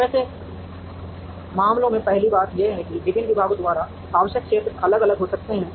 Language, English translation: Hindi, Now, in such cases the first thing is that the areas required by the various departments can be different